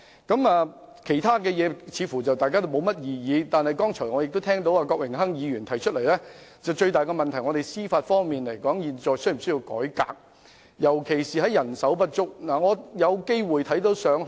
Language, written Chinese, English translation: Cantonese, 大家似乎對其他建議並無異議，但我剛才聽到郭榮鏗議員指出，現時最大問題是司法機構是否需要改革，尤其是面對人手不足的情況。, It seems that Members do not have any objection to other proposals but I just heard Mr Dennis KWOK point out that the biggest problem at the moment is whether the Judiciary should undergo a reform especially in the face of a shortage of manpower